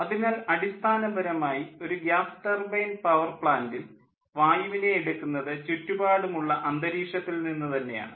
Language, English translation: Malayalam, so basically, in a gas turbine power plant, air is taken, air is taken from the ambient atmosphere and it goes to a compressor